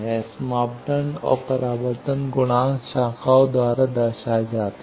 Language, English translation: Hindi, The S parameters and reflection coefficients are represented by branches